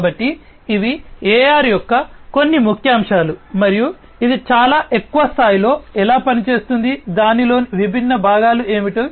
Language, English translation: Telugu, So, these are some of the highlights of AR and how it works at a very high level, what are the different components of it